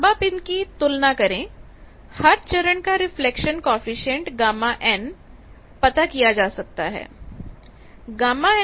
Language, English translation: Hindi, So, by comparison you can find out each stage reflection coefficient